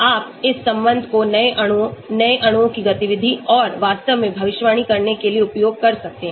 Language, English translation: Hindi, You can use this relationship for predicting new molecules, activity of new molecules and so on actually